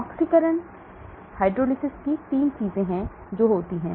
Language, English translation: Hindi, oxidation, reduction, hydrolysis these are the 3 things that happen